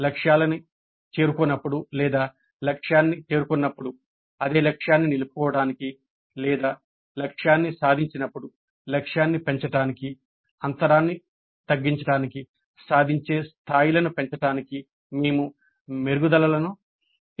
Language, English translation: Telugu, So, either we plan improvements in order to raise the attainment levels to reduce the gap when the targets have not been attained or retain the same target when the target has been attained or increase the target when the target has been attained